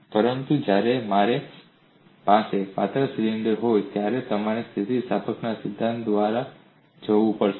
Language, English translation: Gujarati, But when I have a thick cylinder, you have to go by theory of elasticity